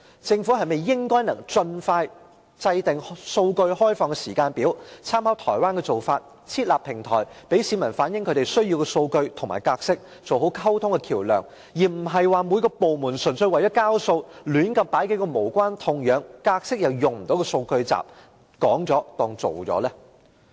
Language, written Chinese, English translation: Cantonese, 政府應盡快制訂開放數據的時間表，並參考台灣的做法，設立平台，讓市民反映他們需要的數據及格式，做好溝通的橋梁，而不是每個部門純粹為了交數，隨便上載數個無關痛癢，格式又無法使用的數據集，便當作交了差。, The Government should expeditiously draw up a timetable for open data . It should also drawing reference from the practice in Taiwan set up a platform for the public to reflect the data and formats they need and properly serve as a bridge of communication . The departments should not just for the sake of delivering homework each casually upload a few irrelevant datasets the format of which is unusable and consider the job done